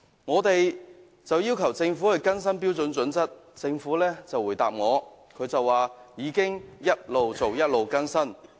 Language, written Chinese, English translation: Cantonese, 我們要求政府更新《規劃標準》，政府就回答我說當局已一邊做一邊更新。, We requested the Government to update HKPSG and the reply was that the update has been conducted on an ongoing basis